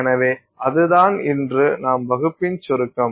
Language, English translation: Tamil, So, that's the summary of our class today